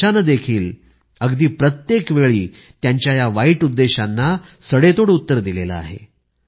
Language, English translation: Marathi, The country too has given a befitting reply to these illintentions every time